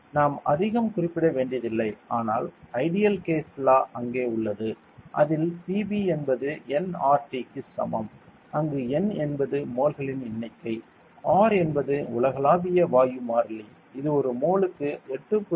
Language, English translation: Tamil, And then we also need not mention much, but ideal gas law is there that is PV is equal to nRT where n is the number of moles, R is the universal gas constant, which is equal to 8